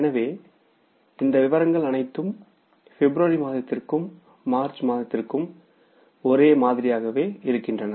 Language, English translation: Tamil, So, all these particulars will remain same for the month of February also and for the month of March also